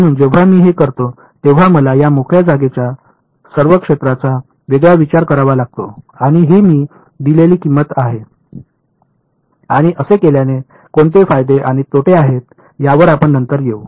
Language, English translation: Marathi, So, when I do this I have I have to discretize all of this free space region and that is a price I pay and we will come later on what are the advantages and disadvantages of doing